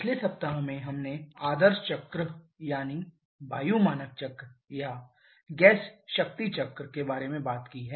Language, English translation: Hindi, In the previous week we have talked about the ideal cycle that is the air standard cycles or gas power cycles